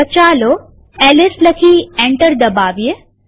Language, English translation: Gujarati, So lets type ls and press enter